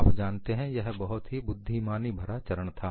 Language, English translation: Hindi, It is a very intelligent step